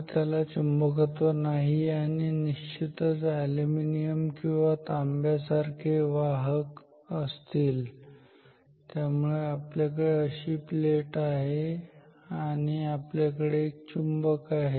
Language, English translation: Marathi, So, this is non magnetic and of course, conductor, like example aluminium or copper so we have a plate like this and we have a magnet ok